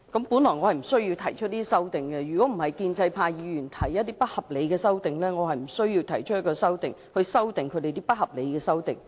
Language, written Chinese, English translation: Cantonese, 本來我無需提出這些修訂，如果不是建制派議員提出不合理的修訂，我是無須提出修訂議案，以修訂他們的不合理修訂。, Initially I did not see any need to propose these amendments . If pro - establishment Members had not proposed their unreasonable amendments it would have been unnecessary for me to propose my amending motion to amend their unreasonable amendments